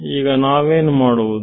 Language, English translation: Kannada, What do we do now is